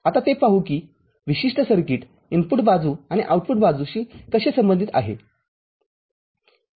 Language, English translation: Marathi, Now let us see how this particular circuit it is inputs side and outputs side will be related